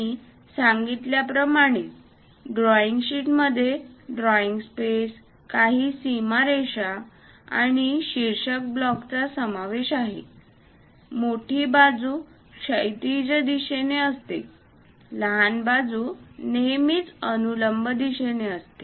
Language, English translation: Marathi, As I mentioned, drawing sheet involves a drawing space, few border lines, and a title block; longer side always be in horizontal direction, shorter side always be in the vertical direction